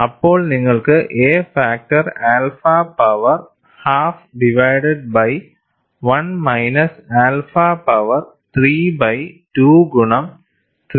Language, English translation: Malayalam, 08 alpha power 4 divided by 1 minus alpha whole power 3 by 2